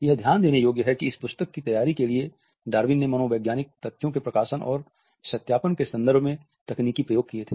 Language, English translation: Hindi, It is interesting to note that for the preparation of this book Darwin had experimented technique in terms of publication and verifying the psychological facts